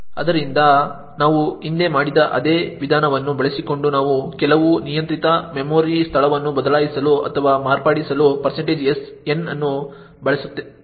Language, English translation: Kannada, So, using the same approach that we have done previously we can use % n to actually change or modify some arbitrary memory location